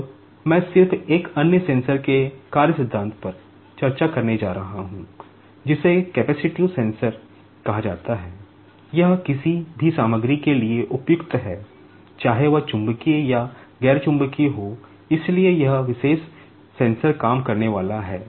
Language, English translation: Hindi, Now, I am just going to discuss the working principle of another sensor that is called the capacitive sensor, it is suitable for any material, whether it is magnetic or nonmagnetic, so this particular sensor is going to work